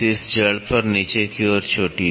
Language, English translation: Hindi, Crest on the top root at the bottom